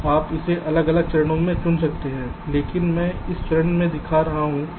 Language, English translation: Hindi, now you can choose this to into separate steps, but i am showing in one step